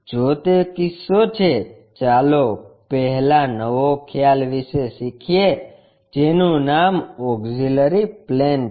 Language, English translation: Gujarati, If that is the case, let us first learn about a new concept name auxiliary planes